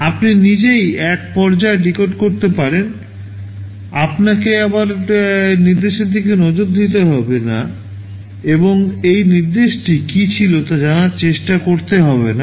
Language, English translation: Bengali, You can decode in one stage itself, you do not have to again look at the instruction and try to find out what this instruction was ok